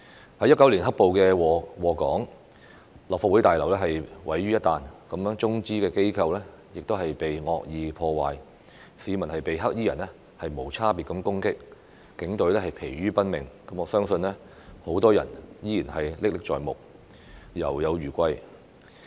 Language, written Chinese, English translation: Cantonese, 2019年"黑暴"禍港，立法會大樓被毀於一旦，中資機構被惡意破壞，市民被"黑衣人"無差別攻擊，警隊疲於奔命，我相信很多人依然歷歷在目，猶有餘悸。, Members of the public were indiscriminately attacked by black - clad people . Rushing around on duties the Police were tired out . I believe what happened is still vivid with lingering fears in the minds of many people